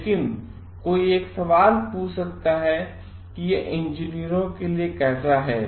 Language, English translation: Hindi, But one may ask a question how is this making a sense for engineers